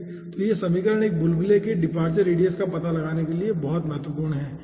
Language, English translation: Hindi, okay, so this equation is very, very important for finding out the departure radius of a bubble